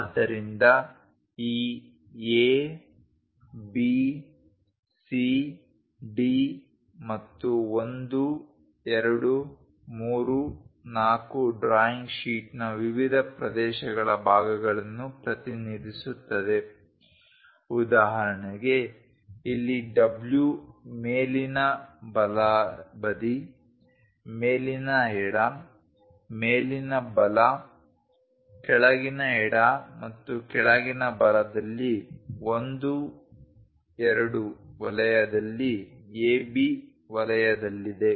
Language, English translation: Kannada, So, this A B C D 1, 2, 3, 4 represents the different areas parts of the drawing sheet for example, here W is in A B zone in 1 2 zone on the top right side top left top right bottom left and bottom right